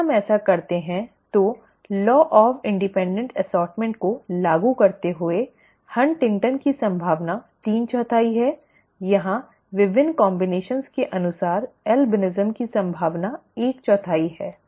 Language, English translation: Hindi, If we do that invoking law of independent assortment, the probability of HuntingtonÕs is three fourth; the probability of albinism is one fourth according to the various combinations here